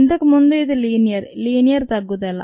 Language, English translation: Telugu, earlier it was linear, a linear decrease